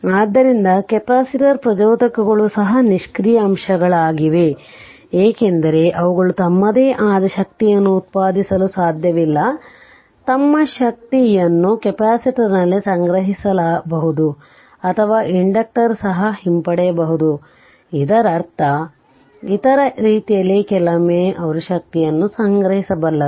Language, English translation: Kannada, So, capacitor inductors also passive elements because, they of their own they cannot generate energy you can store their energy in capacitor, or inductor you can retrieve also; that means, other way sometimes we tell that they have memory like because they can store energy right